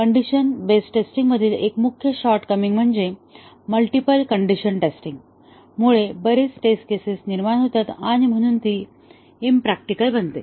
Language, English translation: Marathi, One of the main short coming of the condition based testing is that the multiple condition testing generates too many test cases, and therefore becomes impractical